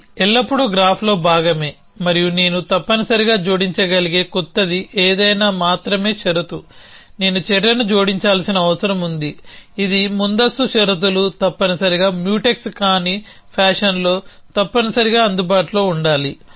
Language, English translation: Telugu, So, that is always part of the graph plus anything new that I can add essentially the only condition, I need for adding an action is that it is preconditions must be available in a non Mutex fashion essentially